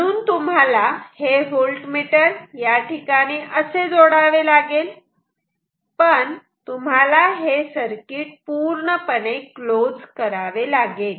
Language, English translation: Marathi, So, this voltage you connect here this is a voltmeter, but you have to close the circuit